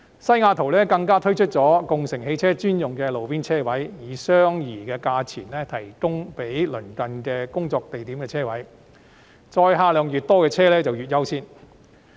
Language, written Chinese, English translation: Cantonese, 西雅圖更推出共乘汽車專用的路邊停車位，以相宜價錢供鄰近工作地點的人士使用，載客量越多的車輛越優先。, Seattle has even introduced roadside parking spaces designated for ride - sharing vehicles for the use of office workers in the vicinity at affordable rates with priority given to vehicles carrying more passengers